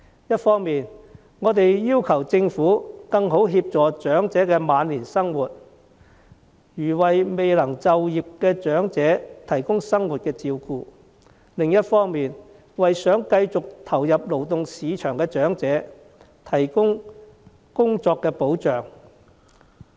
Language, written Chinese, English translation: Cantonese, 一方面，我們要求政府更好地協助長者面對晚年生活，例如為未能就業的長者提供生活照顧；另一方面，政府應為想繼續投入勞動市場的長者提供工作保障。, On the one hand we request that the Government should provide better assistance to the elderly in facing their life in their twilight years . On the other hand the Government should provide employment protection for elderly employees who wish to join the labour market